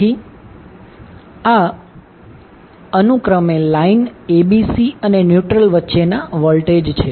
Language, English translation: Gujarati, So, these are respectively the voltages between line ABC and the neutral